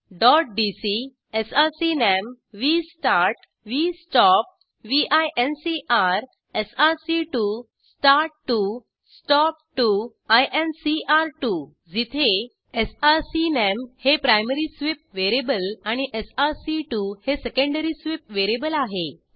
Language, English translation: Marathi, Dot DC SRCNAM VSTART VSTOP VINCR SRC2 START2 STOP2 INCR2 where, SRCNAM is the primary sweep variable and SRC2 is the secondary sweep variable